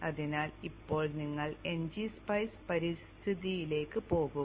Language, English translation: Malayalam, So now you go into the NG Spice environment